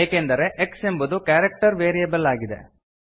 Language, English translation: Kannada, This is because x is a character variable